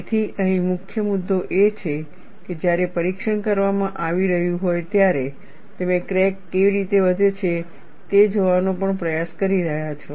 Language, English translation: Gujarati, So, the key issue here is, you are also making an attempt, to see how the crack grows, when the test is being performed